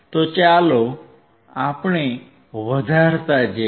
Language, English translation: Gujarati, So, let us keep on increasing